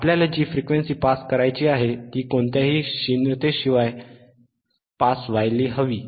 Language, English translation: Marathi, Thate frequency that we want to pass it should be passed without any attenuation, right